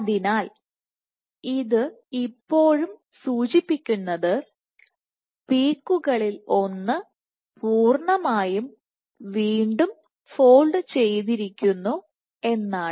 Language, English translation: Malayalam, So, that that would still indicate that one of the peaks has completely folded, completely refolded